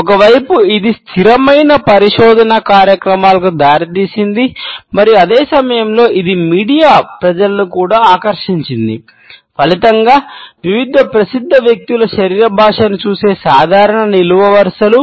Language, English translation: Telugu, On one hand it resulted into sustainable research programs and at the same time it also attracted the media people resulting in regular columns looking at the body language of different famous people